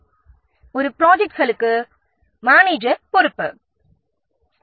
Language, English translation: Tamil, So the manager is responsible for one project